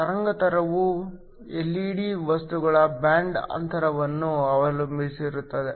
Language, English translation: Kannada, The wavelength is going to depend upon the band gap of the LED material